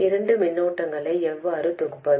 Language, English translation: Tamil, Now how do we compare two currents